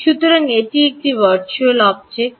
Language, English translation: Bengali, so that's a virtual object